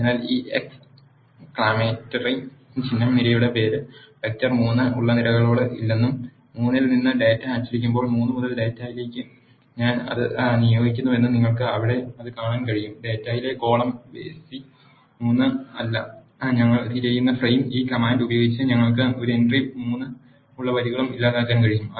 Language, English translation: Malayalam, So, this exclamatory symbol says no to the columns that are having column name vector 3 and I am assigning that to data from 3 when I print data from 3 you can see that there is no column vec 3 in the data frame which we are looking for, you can also delete the rows where we have an entry 3 by using this command